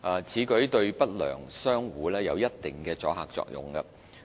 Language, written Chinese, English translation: Cantonese, 此舉對不良商戶有一定的阻嚇作用。, This has a significant deterrent effect on unscrupulous traders